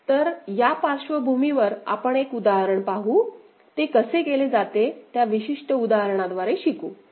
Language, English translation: Marathi, So, with this background let us see an example and learn through that particular example how it is done